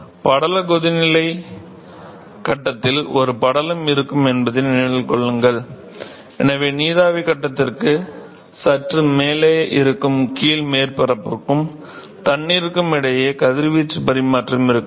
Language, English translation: Tamil, Remember that in the film boiling phase we will have a there is a film which is present and so, there could be radiation exchange between the bottom surface and the water which is present just above the vapor phase ok